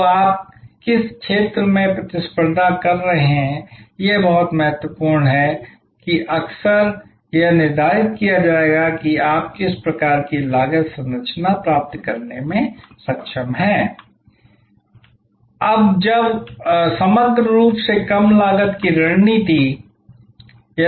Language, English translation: Hindi, So, which field you are competing in is very important that will be often determined by what kind of cost structure you are able to achieve